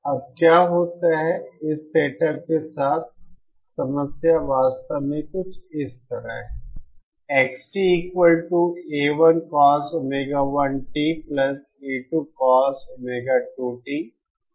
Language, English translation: Hindi, Now what happens is that the problem with this setup is somewhat like this actually